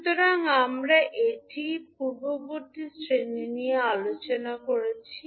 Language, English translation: Bengali, So, this we discussed the previous class